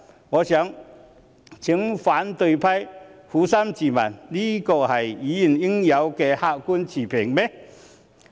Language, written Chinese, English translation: Cantonese, 我想請反對派撫心自問，這是否議員應有的客觀持平？, I would like to urge the opposition to ask themselves honestly whether this reflects objectivity and impartiality that Members should uphold